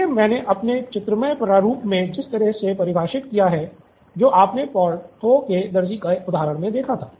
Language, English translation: Hindi, So the conflict in the way I have defined in my graphical format that you saw with Porthos’s tailor